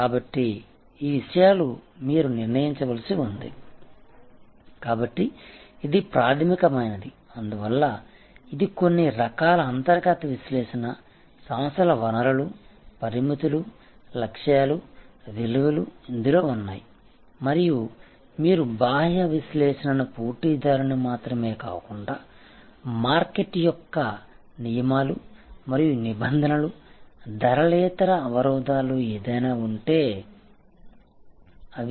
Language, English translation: Telugu, So, these things you have to determine, so fundamental; that is why say that there is a set of internal analysis, organizations resources, limitations, goals, values and you have to external analysis not only the competitor, but also the structure of the market the rules and regulations, non price barriers if any and so on